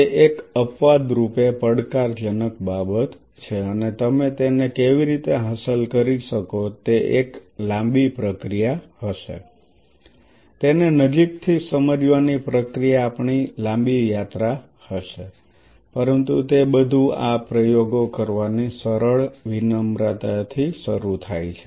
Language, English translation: Gujarati, It is something exceptionally challenging and how you can achieve it, it will be a long drawn process it will be a long whole journey of ours to understand even going even close to it, but it all start with that simple modesty of doing these experiments right